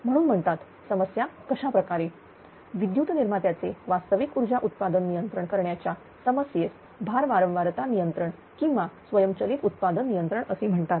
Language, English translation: Marathi, So, that the problem of called therefore, the problem of controlling the real power output of electric generators in this way is termed as load frequency control or automatic generation control, right